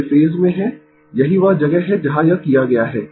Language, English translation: Hindi, They are in the same phase, that is where it has been done